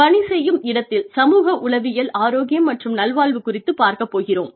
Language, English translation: Tamil, So, let us get to the, psychosocial safety climate, and psychological health and well being, in the workplace